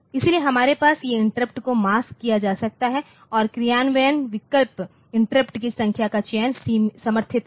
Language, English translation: Hindi, So, we can have this interrupts can be masked also and implementation option selects the number of interrupts supported